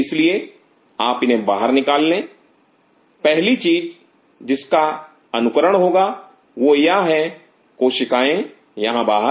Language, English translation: Hindi, So, you take out these cells first thing what have to mimic is if I these cells out here